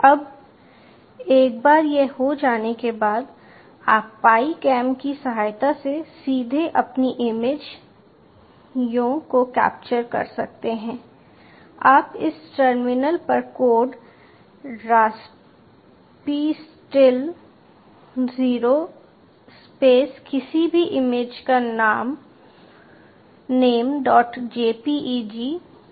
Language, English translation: Hindi, ok, now, once this has been done, you can directly capture your images using the pi cam by writing on this terminal, on this particular line of code: raspistill space minus o space, any image name dot jpeg